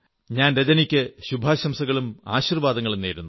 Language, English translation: Malayalam, My best wishes and blessings to Rajani